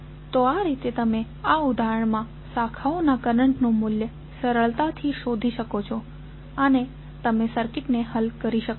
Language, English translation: Gujarati, So, in this way you can easily find out the value of currents of those are the branch currents in this case and you can solve the circuit